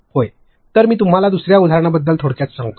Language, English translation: Marathi, So, let me just brief you about another example